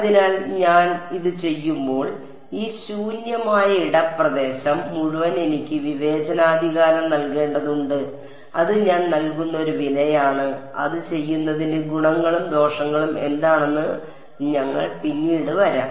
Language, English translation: Malayalam, So, when I do this I have I have to discretize all of this free space region and that is a price I pay and we will come later on what are the advantages and disadvantages of doing